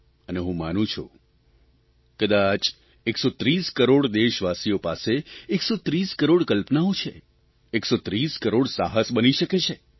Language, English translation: Gujarati, And I do believe that perhaps 130 crore countrymen are endowed with 130 crore ideas & there could be 130 crore endeavours